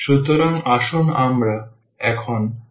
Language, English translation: Bengali, So, let us discuss now